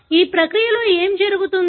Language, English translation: Telugu, In this process what happens